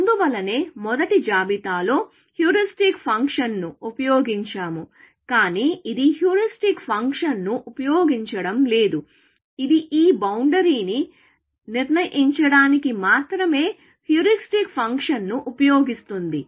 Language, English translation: Telugu, This is why, we used the heuristic function in the first list, but this is not exploiting the heuristic function; it uses the heuristic function only to determine this boundary